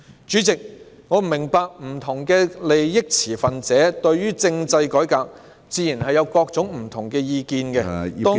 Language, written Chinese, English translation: Cantonese, 主席，我明白不同持份者對政制改革會有不同意見，當中......, President I understand that various stakeholders have different opinions on constitutional reform such as